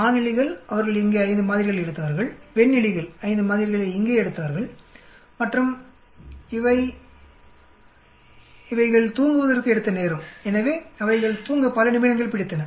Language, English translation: Tamil, Male rats they took 5 samples here, female rats they took 5 samples here and these are the time they took, so many minutes they took to sleep